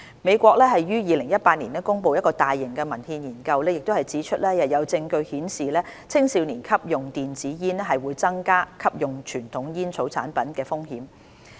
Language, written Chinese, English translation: Cantonese, 美國於2018年公布的大型文獻研究亦指出有證據顯示青少年吸用電子煙會增加吸用傳統煙草產品的風險。, The large - scale systematic review published in the United States in 2018 also pointed out that there was evidence that the use of e - cigarettes would increase the risk of using conventional tobacco products among young people